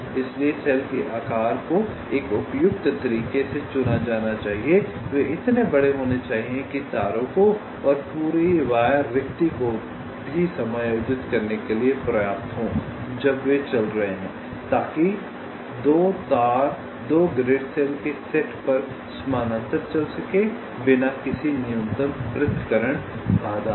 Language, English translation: Hindi, they should be large enough to means, as i said, to accommodate the wires when they are running and also the entire wire spacing, so that two wires can run on two parallel set of grid cells without any minimum separation constraint violation